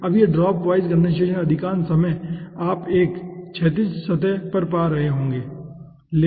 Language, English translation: Hindi, okay, now, this dropwise condensation, majority of the time you will be finding out over a horizontal surface